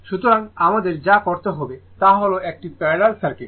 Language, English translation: Bengali, So, so in what we have to do is that is a parallel circuit